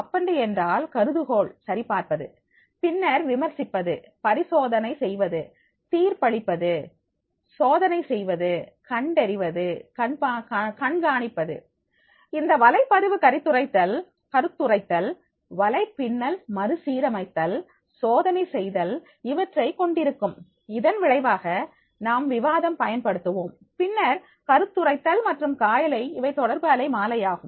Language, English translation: Tamil, It means that checking hypothesis, then the critiquing, experimenting, judging, testing, detecting and monitoring, this blog will be having the commenting, networking, refactoring and the testing, as a result of which we will be using the debating then the commenting and skyping this will be the communication spectrum